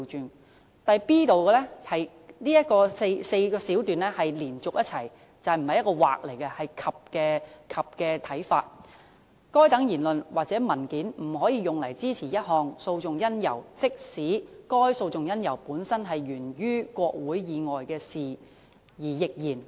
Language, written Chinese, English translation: Cantonese, 至於 b 段，文件第3段以下的4小段是要連續一起去讀，不是用"或"，而是"及"的角度去理解，當中指出"該等言論或文件不可用於支持一項訴訟因由，即使該訴訟因由本身是源於國會以外的事宜亦然"。, As regards subparagraph b we have to read the four subparagraphs under paragraph 3 altogether interpreting them with a sense of and not or . It is pointed out that such speeches or documents cannot be used for the purpose of supporting a cause of action even though that cause of action itself arose outside Parliament